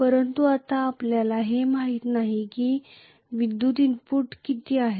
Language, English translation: Marathi, But now we do not know how much is the electrical input